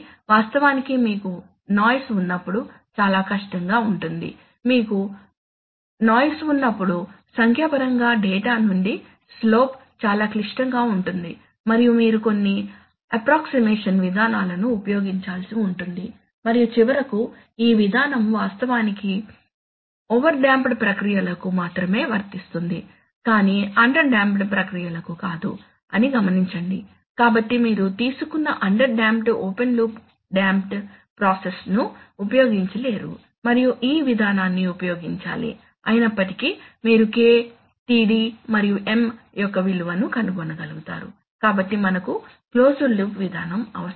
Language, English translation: Telugu, Can be actually very difficult especially when you have noise, when you have noise finding numerically the slope from data can be very complicated and you have to use some good approximation procedures and finally note that this procedure is actually applicable only for over damped processes not for under damped processes, so you cannot use taken under damped open loop under damped process and then use this procedure, although you may be able to find out some value of K,Td, and M